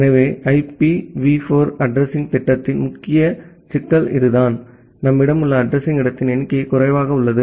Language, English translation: Tamil, So, that is the major problem with IPv4 addressing scheme that the number of address space that we have it is limited